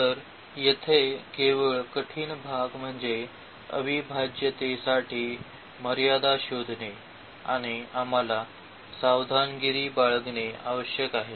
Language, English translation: Marathi, So, the only the difficult part here is locating the limits for the integral and that we have to be careful